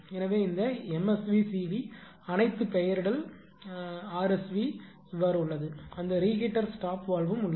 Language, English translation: Tamil, So, this MSV CV all nomenclature it is there rsv also that reheater stop valve